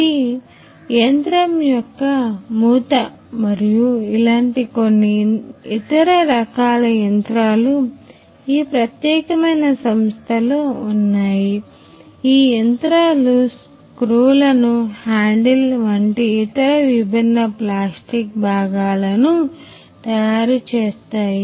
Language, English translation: Telugu, So, this is the lid of the machine and there are other few similar kinds of machines that are here in this particular company which will make the other different plastic parts like the handle the screws that are there